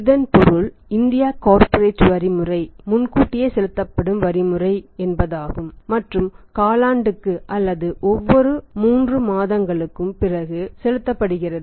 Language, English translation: Tamil, So it means the Indian corporate tax system is the advance tax payment system and that is paid quarterly after every 3 months